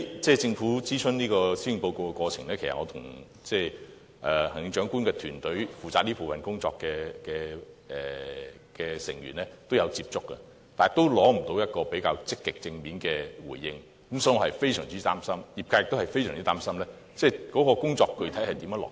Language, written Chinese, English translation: Cantonese, 在政府諮詢施政報告的過程中，其實我也曾與行政長官負責這部分的團隊成員接觸過，但仍無法取得較積極正面的回應，所以我是非常擔心，業界亦非常擔心這項工作如何能具體落實。, During the Governments consultation on the Policy Address I had some contacts with those in the Chief Executives governing team who were responsible for this policy area . But I did not receive any positive response from them . I am therefore very worried and so are the industries concerned as they all wonder how this task can be done